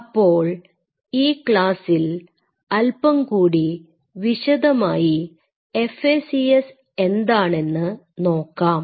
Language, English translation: Malayalam, So, we will discuss a little bit about in this class about what is FACS